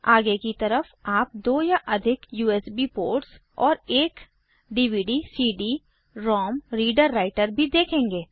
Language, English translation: Hindi, Also, on the front side, you will notice 2 or more USB ports and a DVD/CD ROM reader writer